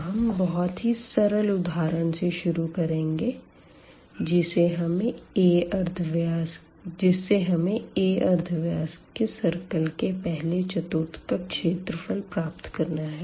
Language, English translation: Hindi, So, now, we want to compute, we want to start with a very simple example compute area of the first quadrant of a circle of radius r, of radius a